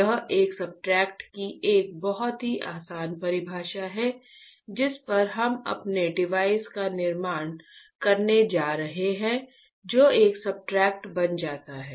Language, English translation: Hindi, This is very easy definition of a substrate a material on which we are going to fabricate our device that becomes a substrate, ok